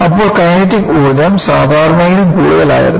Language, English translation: Malayalam, So, when the kinetic energy was more, then what it is